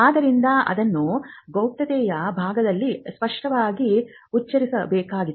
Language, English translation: Kannada, So, that has to be clearly spelled out in the confidentiality part